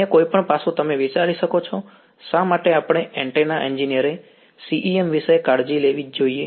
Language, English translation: Gujarati, Any other aspect you can think of why should us antenna engineer care about CEM